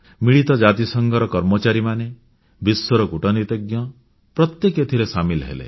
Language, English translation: Odia, The staff of the UN and diplomats from across the world participated